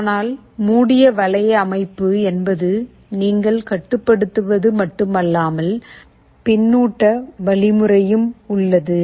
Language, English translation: Tamil, But closed loop means that not only you are controlling, there is also a feedback mechanism